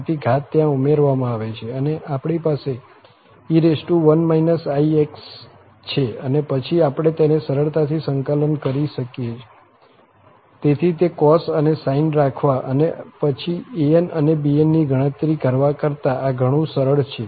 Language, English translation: Gujarati, So, we have 1 minus in into x and then, we can easily integrate it, this is much easier than having those cos and sine and then computing an's and bn's